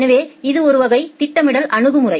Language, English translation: Tamil, So, this is one type of scheduling strategy